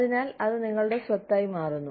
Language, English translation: Malayalam, So, it becomes your property